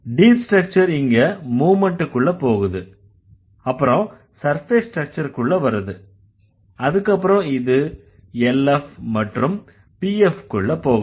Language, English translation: Tamil, So, the deep structure goes through movement and it comes to the surface structure, then it goes to the LF and PF